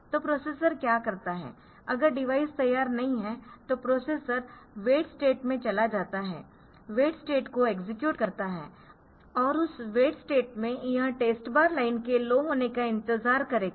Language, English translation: Hindi, So, so, what the processor asks finding that is not ready it goes into an wait state executes wait state go to the wait state and in that wait state it will wait for this state bar line to become low